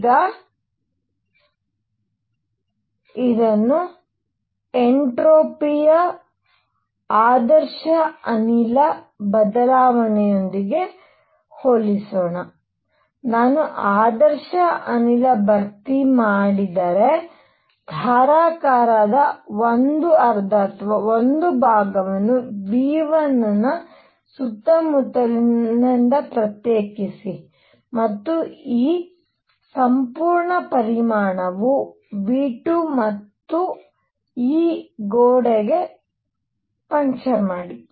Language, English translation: Kannada, Now, let us compare this with an ideal gas change of entropy, if I take an ideal gas fill 1 half or 1 portion of a container which is isolated from surroundings right of V 1 and this whole volume is V 2 and puncture this wall